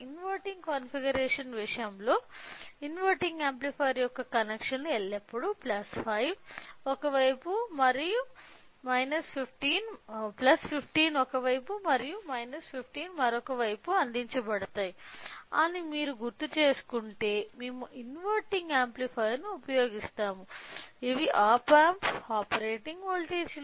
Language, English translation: Telugu, So, in case of inverting configuration so, we will use an inverting amplifier if you recall the connections of inverting amplifier so, will be always provide to plus 15 one side and minus 15 another side these are the operating voltages of op amp